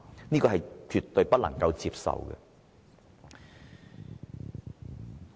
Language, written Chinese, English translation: Cantonese, 這是絕對不能接受的。, This is absolutely unacceptable